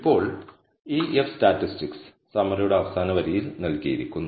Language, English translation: Malayalam, Now, this F statistic is what is returned by the summary, which is given in the last line of the summary